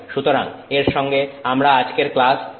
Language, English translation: Bengali, So, that's the summary of our class today